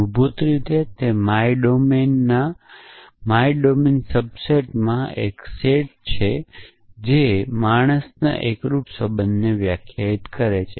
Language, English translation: Gujarati, Basically, it is a set in my domain subset in my domain which defines unary relation of man essentially